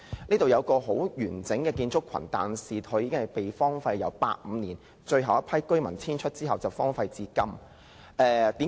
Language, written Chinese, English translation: Cantonese, 那裏有一個很完整的建築群，但由1985年最後一批居民遷出後便荒廢至今。, The place comprises a complex of building structures but the structures have been deserted since 1985 when the last group of residents moved out